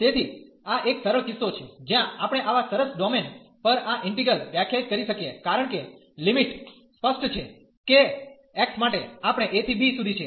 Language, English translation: Gujarati, So, this is the simplest case, where we can define this integral over the such a nice domain, because the limits are clear that for x, we are wearing from a to b